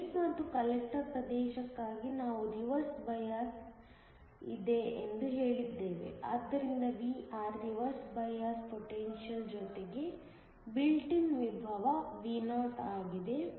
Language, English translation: Kannada, For the base and the collector region, we said that there is reversed bias, so that Vr is nothing but the reversed bias potential plus the built in potential Vo